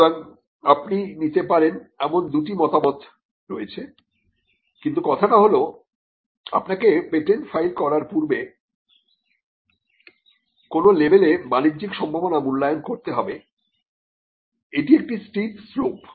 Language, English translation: Bengali, So, so there are two views you can take, but the thing is that you have to make some kind of a commercial you have to evaluate the commercial potential at some level before you can file a patent and it is a steep slope